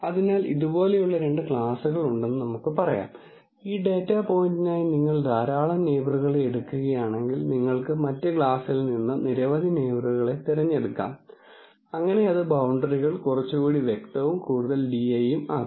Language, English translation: Malayalam, So, because if let us say there are two classes like this, then for this data point if you take a large number of neighbors, then you might pick many neighbors from the other class also, so that can make the boundaries less crisp and more di use